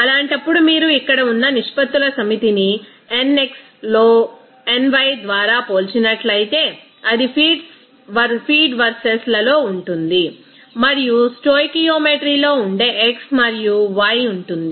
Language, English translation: Telugu, In that case, if you compare a set of ratios like here in nx by ny that will be in the feed verses and an x and y that will be in the stoichiometry